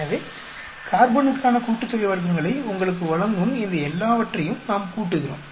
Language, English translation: Tamil, So, we add up all these things that will give you the sum of squares for carbon